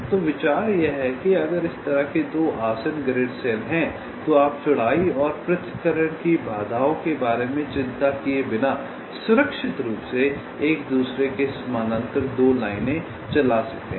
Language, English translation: Hindi, so the idea is that if there are two adjacent grid cells like this, then you can safely run two lines on them parallel to each other without worrying about the width and the separation constraints